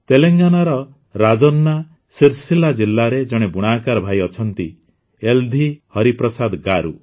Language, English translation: Odia, There is a weaver brother in Rajanna Sircilla district of Telangana YeldhiHariprasad Garu